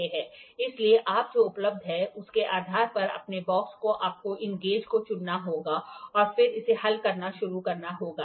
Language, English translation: Hindi, So, that you are based upon what is available in your box you have to pick these gauges and then start solving it